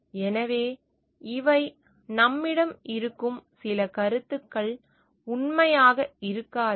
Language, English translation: Tamil, And so, this are some of the ideas that we have which may not be true